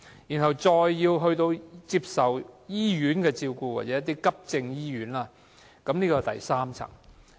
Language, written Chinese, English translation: Cantonese, 若再需要接受醫院的照顧或急症醫院，這是第三層。, We will go to the third tier if we further require hospital care or acute hospital services